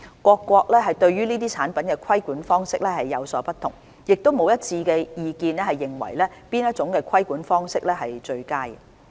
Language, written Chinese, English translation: Cantonese, 各國對這些產品的規管方式有所不同，亦沒有一致意見認為哪種規管方式為最佳。, Different countries have different regulatory approaches and there is no consensus on which approach is the best